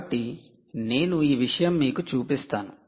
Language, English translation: Telugu, ok, so so i will show this